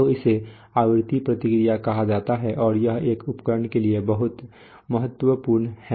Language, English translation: Hindi, So this is called a frequency response and this is very important for an instrument